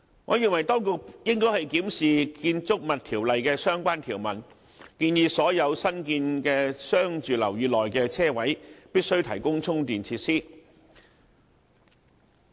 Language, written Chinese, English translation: Cantonese, 我認為當局應該檢視《建築物條例》的相關條文，建議所有新建的商住樓宇內的車位必須提供充電設施。, I opine that the authorities should examine the relevant provisions of the Buildings Ordinance to propose that charging facilities for charging EVs must be provided at all parking spaces in newly constructed commercial and residential buildings